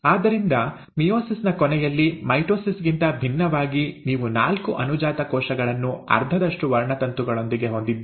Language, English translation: Kannada, So at the end of meiosis, unlike mitosis, you have four daughter cells with half the number of chromosomes